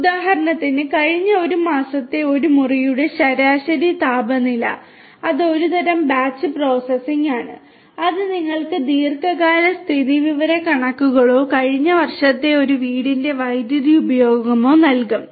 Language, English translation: Malayalam, For example, you know the average temperature of a room for the last one month that is some kind of batch processing which will give you some kind of long term statistics or the power usage of a house in the last year